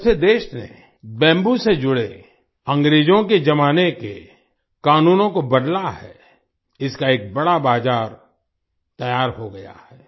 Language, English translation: Hindi, Ever since the country changed the Britishera laws related to bamboo, a huge market has developed for it